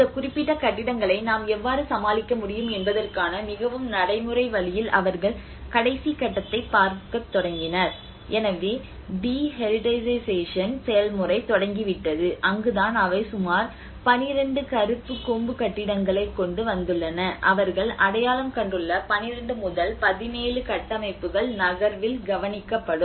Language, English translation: Tamil, That is where they started looking at the last stage of in a more practical way of how we can deal these certain buildings you know so the de heritagisation process have started and that is where they come up with about 12 Black horn buildings and you know there is a few about 17 structures 12 to 17 structures they have identified yes these will be taken care of on the move